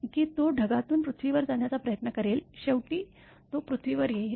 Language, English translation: Marathi, That it will try to move from the cloud to the earth, ultimately it will come to the earth